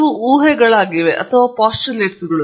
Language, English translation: Kannada, These are assumptions these are the postulates